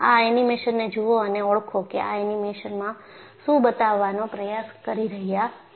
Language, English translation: Gujarati, Just, watch this animation and identify what this animation is trying to show